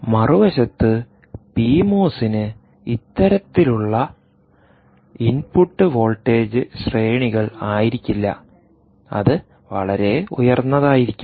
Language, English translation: Malayalam, p mos, on the other hand, is ah, is perhaps not with this kind of a input voltage ranges, but it could be much higher